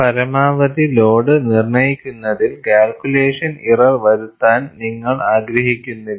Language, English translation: Malayalam, You do not want to make a calculation error on the maximum load